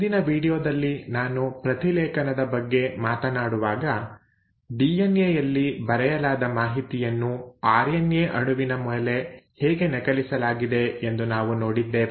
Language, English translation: Kannada, Now in the last video when I was talking about transcription we saw how the information which was written in DNA was copied onto an RNA molecule